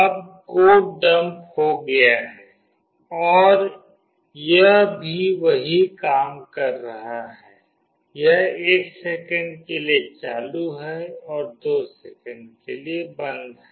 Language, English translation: Hindi, Now the code is dumped and it is also doing the same thing, it is on for 1 second and it is off for 2 seconds